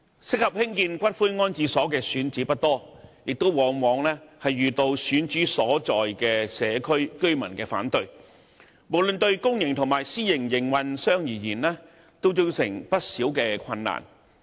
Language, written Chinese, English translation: Cantonese, 適合興建骨灰安置所的選址不多，亦往往遇到選址所在社區的居民反對，無論對公營及私營營辦商而言，均造成不少困難。, Sites suitable for building columbaria are few and decisions to build them are often met with oppositions from residents of the districts where the chosen sites are located . These factors have presented difficulties to both public and private columbarium operators